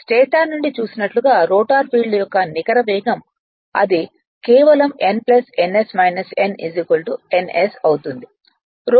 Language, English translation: Telugu, The net speed of the rotor field as seen from the stator is it will be just n plus ns minus n is equal to n s